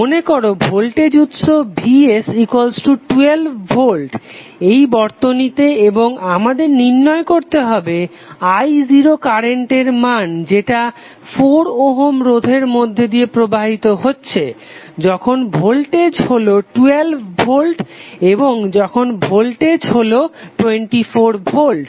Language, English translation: Bengali, Suppose the voltage source Vs is 12 volt in this circuit and we have to find out the value of current I0 flowing through 4 ohm resistance when voltage is 12 volt and when voltage is 24 volt